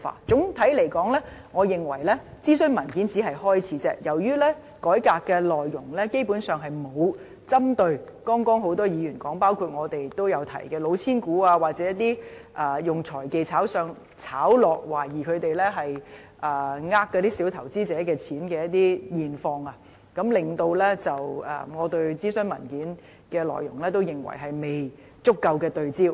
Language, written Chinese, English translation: Cantonese, 總的來說，我認為諮詢文件只是開始，由於改革內容基本上並沒有針對多位議員剛才提到，包括我們也有提到的"老千股"，或以財技炒上炒落，懷疑是欺騙小投資者的情況，令我認為諮詢文件的內容也是未有足夠對焦。, All in all I regard this consultation paper as a beginning only . Since the contents of reform have neither targeted on the cheating shares as mentioned by various Members including us nor on the manipulation of financial techniques in bringing up and down the stock prices through speculation with the suspected intent of deceiving small investors I am of the view that the contents of the consultation paper are somewhat out of focus